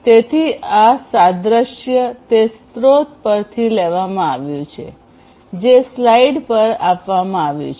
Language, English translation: Gujarati, So, this analogy has been taken from the source that is given on the slide